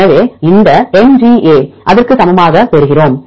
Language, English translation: Tamil, So, we get this MGA its equal to 0